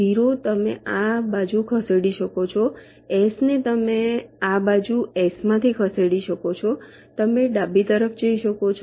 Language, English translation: Gujarati, you can move this side from s you can move to the left